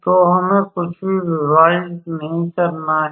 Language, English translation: Hindi, So, we don’t have to divide anything